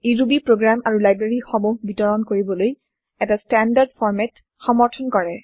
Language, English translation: Assamese, It provides a standard format for distributing Ruby programs and libraries